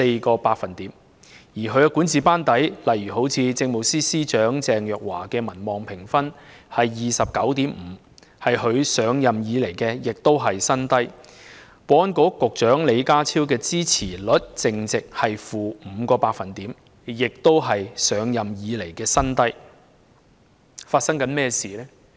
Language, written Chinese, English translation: Cantonese, 至於她的管治班底，律政司司長鄭若驊的民望評分為 29.5， 是她上任以來的新低；保安局局長李家超的支持率淨值為 -5%， 亦是他上任以來的新低。, Among her top echelons in the Government the popularity rating of Secretary for Justice Teresa CHENG is 29.5 points representing a new low since she took office; and the net approval rate of the Secretary for Security John LEE is - 5 % which is also a new record low since he took office